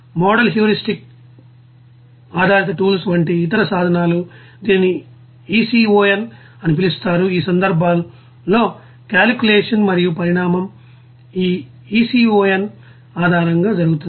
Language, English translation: Telugu, Other tools like you know model heuristic based tools there, it is called ECON in that case economic calculation and evolution is being done based on this ECON